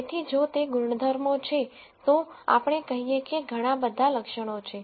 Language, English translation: Gujarati, So, if those are the attributes let us say many attributes are there